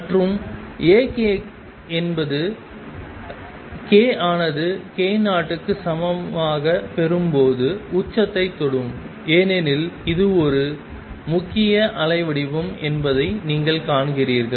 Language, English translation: Tamil, And A k is maximum for k equals k 0 because you see that is a predominant waveform